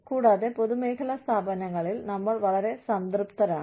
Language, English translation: Malayalam, And, in public sector organizations, we get so complacent